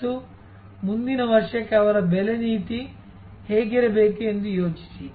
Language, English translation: Kannada, And think that, what should be their pricing policy for next year